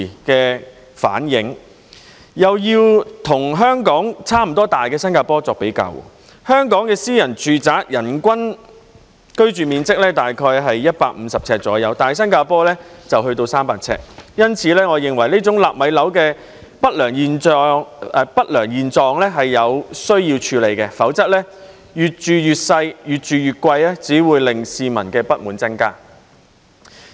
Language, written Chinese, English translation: Cantonese, 又以與香港差不多大的新加坡作比較，香港的私人住宅人均居住面積大約是150平方呎，但新加坡則有300平方呎，因此，我認為這種"納米樓"的不良現象是有需要處理的，否則，"越住越細，越住越貴"只會令市民的不滿增加。, When compared with Singapore which is of more or less the same size as Hong Kong the average living floor area per person in private housing is about 150 square feet sq ft in Hong Kong but the figure is 300 sq ft in Singapore . Therefore I think this undesirable phenomenon of constructing nano flats needs to be addressed otherwise it would only add to the discontent of the public when people are paying more for a smaller flat